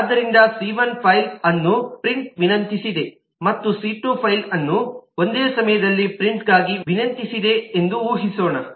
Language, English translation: Kannada, so let us assume that c has requested to print file 1 and c2 has requested to print file 2 at the same time